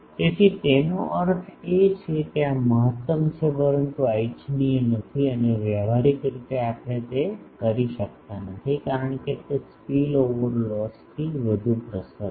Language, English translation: Gujarati, So, that mean this is optimum, but this is not desirable and practically we cannot do that because, that will give rise to high spill over loss